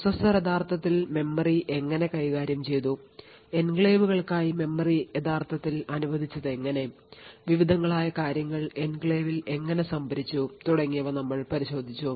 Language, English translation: Malayalam, We looked at how the processor actually managed the memory, how it actually allocated memory regions for enclaves, how things were actually stored in the enclave and so on